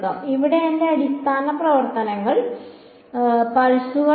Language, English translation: Malayalam, Here my basis functions were pulses